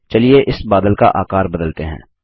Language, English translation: Hindi, Let us reduce the size of this cloud